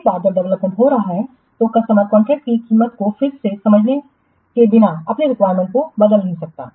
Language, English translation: Hindi, Once the development is underway, then the customer cannot change their requirements without renegotiating the price of the contract